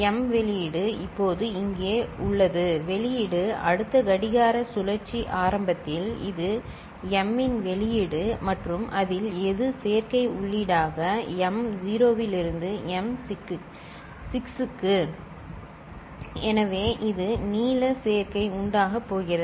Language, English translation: Tamil, m output is now here whatever is the output next clock cycle in the beginning this is the output of the M and which of that is going as adder input the m naught to m6, m naught to m6 right